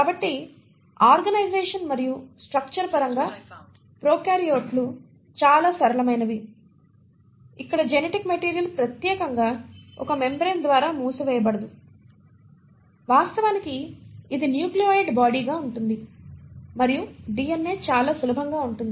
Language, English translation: Telugu, So in terms of organisation and structure, the prokaryotes are the simpler ones where the genetic material is not enclosed exclusively by a membrane itself, in fact it exists as a nucleoid body and DNA is fairly simple